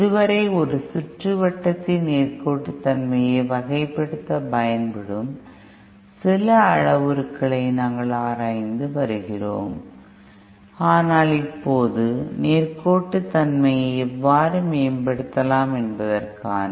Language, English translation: Tamil, So far, we have been analyzing some of the parameters used to characterize the linearity of a circuit, but let us now see some of the methods in which how we can improve the linearity